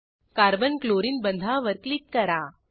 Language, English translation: Marathi, Click on Carbon Chlorine bond